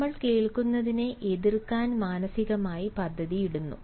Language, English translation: Malayalam, we mentally plan to rebuttal what we hear